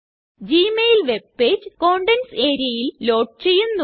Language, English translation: Malayalam, The gmail webpage loads in the Contents area